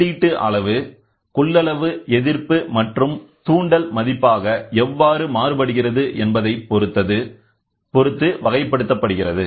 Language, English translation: Tamil, The classification is based on how the input quantity is transduced into a capacitance resistance and inductance value, ok